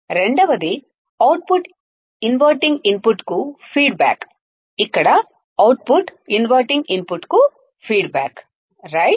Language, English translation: Telugu, Second is output is feedback to the inverting input, output here is feedback to the inverting input correct